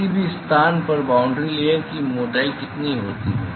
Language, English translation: Hindi, What is the boundary layer thickness at any location